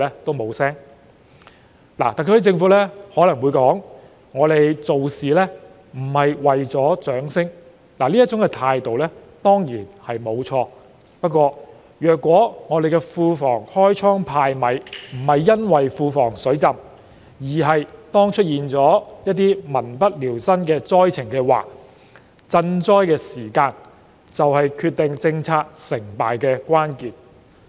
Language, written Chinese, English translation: Cantonese, 特區政府可能會說，我們做事並非為了掌聲，這種態度固然沒錯，但如果香港庫房開倉派米不是因為庫房"水浸"，而是出現了民不聊生的災情，那麼賑災的時間便是決定政策成敗的關鍵。, The SAR Government may say that they did not hand out candies to win applause . There is nothing wrong with this kind of attitude . However if the Treasury doled out money not because it is flooded with cash but to help people affected by a disaster then the timing of the disaster relief will be a crucial factor determining the success or failure of a policy